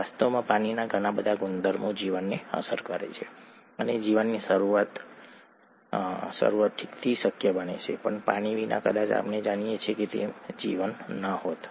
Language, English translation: Gujarati, In fact many properties of water impact life and make life possible to begin with okay, without water probably there won’t have been a life as we know it